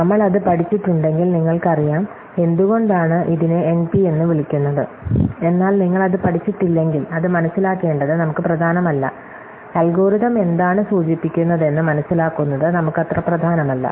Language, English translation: Malayalam, So, if we have studied that, then you will know, why it is called NP, but if you are not studied that, it is not so important us to realize, what it implies for algorithms